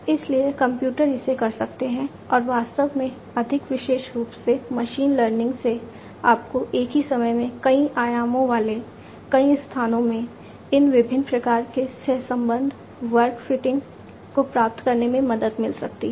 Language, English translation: Hindi, So, the computers can do it and in fact, more specifically machine learning can help you achieve these different types of correlation, curve fitting etcetera in multiple you know in spaces having multiple dimensions at the same time right